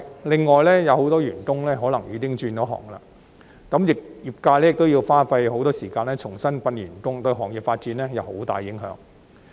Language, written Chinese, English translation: Cantonese, 另外，有很多員工可能已轉行，業界亦要花很多時間重新訓練新員工，對行業的發展會有很大影響。, Moreover as many employees may have switched occupations by then the industry will have to spend a lot of time on training new employees which will have a great impact on the development of the industry